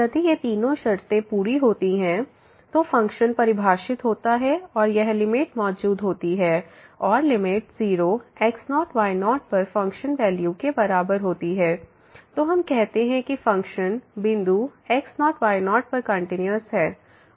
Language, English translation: Hindi, If all these three conditions are met; so function is defined this limit exists and the limit is equal to the function value at 0 , then we call that the function is continuous at the point